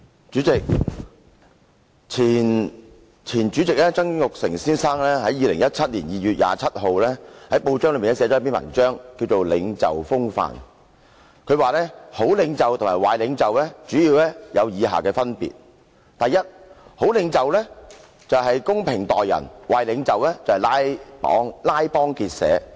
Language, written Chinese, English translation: Cantonese, 主席，前主席曾鈺成先生於2017年2月27日，在報章寫了一篇名為"領袖風範"的文章，提到好領袖和壞領袖主要有以下分別："第一，好領袖公正待人，壞領袖拉幫結派。, President on 27 February 2017 the former President Mr Jasper TSANG wrote an article in a newspaper entitled Leadership style . He described the major differences between good leaders and bad leaders First good leaders treat people fairly while bad leaders form factions